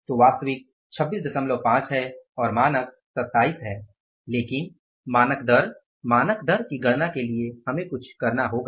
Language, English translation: Hindi, So, actually is 26 and the standard is 27 but the standard rate for calculation of the standard rate we will have to do something